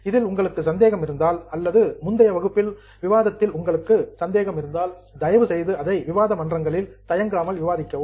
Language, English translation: Tamil, If you have a doubt in anything, not only here but even of the earlier items, please feel free to discuss it on discussion forums